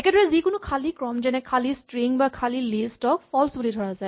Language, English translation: Assamese, Similarly, any empty sequence such as the empty string or the empty list is also treated as false